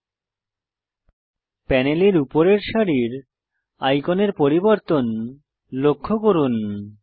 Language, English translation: Bengali, Notice how the icons at the top row of the Properties panel have now changed